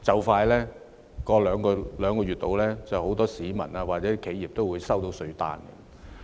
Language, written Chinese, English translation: Cantonese, 大約兩個月之後，很多市民或企業也會收到稅單。, About two months later many members of the public or enterprises will also be receiving tax demand notes